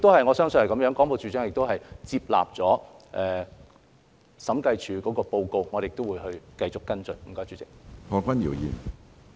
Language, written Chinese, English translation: Cantonese, 我相信廣播處長亦接納審計署的報告，我們亦會繼續跟進。, I believe the Director of Broadcasting has also accepted the Audit Report and we will continue to follow up as well